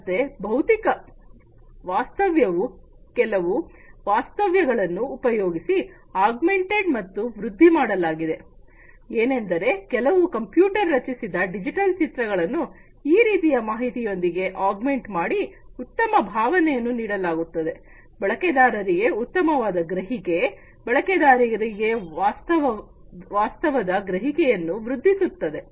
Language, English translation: Kannada, So, physical reality is augmented with certain information, typically, some computer generated digital images augmented with that kind of information to give a better feeling, better, you know, perception to the users, improve perception of the reality to the users